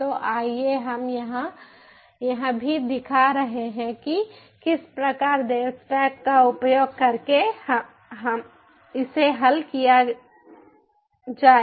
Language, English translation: Hindi, here also i am showing how to solve it using the devstack